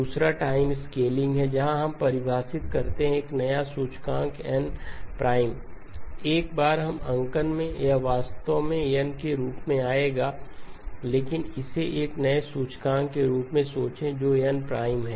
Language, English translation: Hindi, Second is time scaling where we take the define a new index n prime, once we in the notation it will actually come as n but think of it as a new index that is there which is n prime